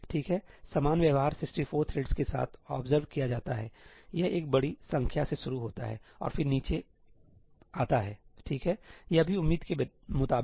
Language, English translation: Hindi, Okay, the same behavior is observed with 64 threads; it starts with a large number and then it comes down, right; this is also as expected